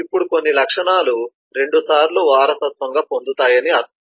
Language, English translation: Telugu, now does it mean that some of the properties will be inherited twice